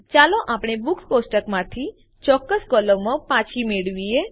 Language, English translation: Gujarati, Let us retrieve specific columns from the Books table